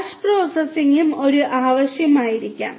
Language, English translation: Malayalam, Batch processing might also be a requirement